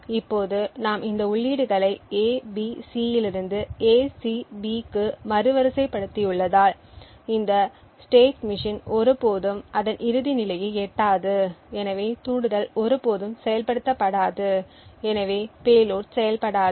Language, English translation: Tamil, Now since we have reordered these inputs from A B C to A C B this state machine will never reach its final state and therefore the trigger will never get activated and therefore the payload will be non functional